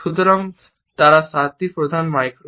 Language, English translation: Bengali, So, those are the seven major micro